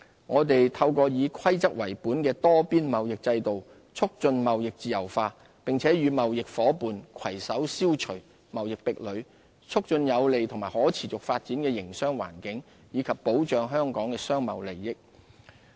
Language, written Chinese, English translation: Cantonese, 我們透過以規則為本的多邊貿易制度，促進貿易自由化，並與貿易夥伴攜手消除貿易壁壘，促進有利及可持續發展的營商環境，以及保障香港的商貿利益。, We have endeavoured to promote the liberalization of trade through the rule - based multilateral trading system and join hands with our trading partners to remove trade barriers . This has helped develop a favourable and sustainable business environment and safeguard Hong Kongs commercial interests